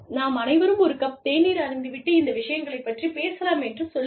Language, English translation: Tamil, And say, it is cold, let us all have, a cup of tea, and then talk, about these issues